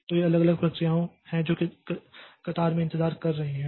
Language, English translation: Hindi, So, these are different jobs that are waiting in the queue